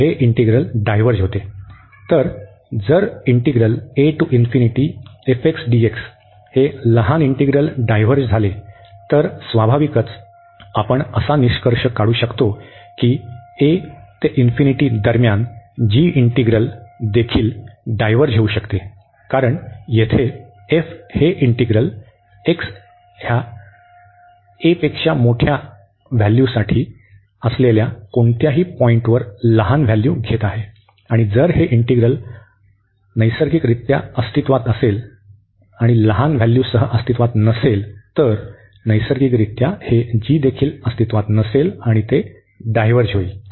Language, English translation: Marathi, So, naturally we can conclude that the integral over a to infinity of this g will also diverge, because this f is taking the smaller values at any point x here greater than a; and if this integral exist, so naturally if it does not exist this f with a smaller values, then naturally this will also not exist this will also diverge